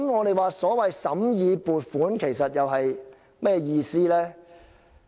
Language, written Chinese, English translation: Cantonese, 那麼，審議撥款又有甚麼意義呢？, As such what is the point of scrutinizing the Budget?